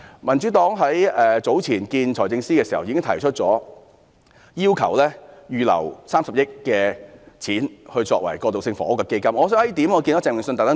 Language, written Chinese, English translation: Cantonese, 民主黨早前與財政司司長會面時已要求他預留30億元，作為興建過渡性房屋的基金。, When the Democratic Party met with the Financial Secretary earlier we had already asked him to set aside 3 billion for setting up a fund for building transitional housing